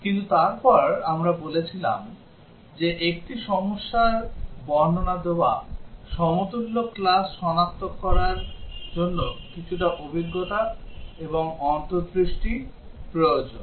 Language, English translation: Bengali, But then we said that identifying the equivalence classes given a problem description requires bit of experience and insight